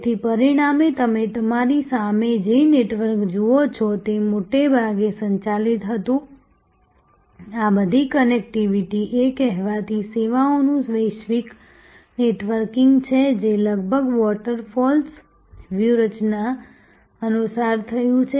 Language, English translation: Gujarati, So, as a result this network that you see in front of you was driven mostly, all these connectivity’s are the so called global networking of services happened following in almost waterfalls strategy